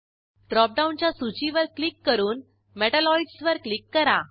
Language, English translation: Marathi, Click on the drop down list and select Metalloids